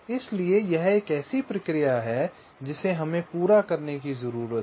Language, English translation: Hindi, so this is a process we need to carry out